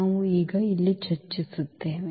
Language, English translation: Kannada, We will discuss here now